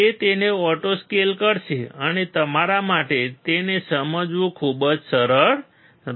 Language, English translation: Gujarati, It will auto scale it and it will be very easy for you to understand